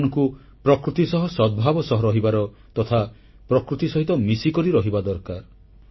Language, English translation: Odia, We have to live in harmony and in synchronicity with nature, we have to stay in touch with nature